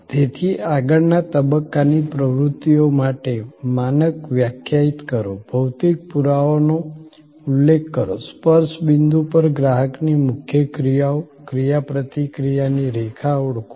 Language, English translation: Gujarati, So, define standard for front stage activities, specify physical evidence, identify principle customer actions at the touch points, the line of interaction